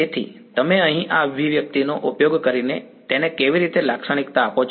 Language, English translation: Gujarati, So, how do you characterize this is using this expression over here